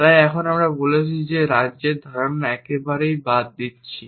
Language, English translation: Bengali, So, now, we have said that we are doing away with the notion of states at all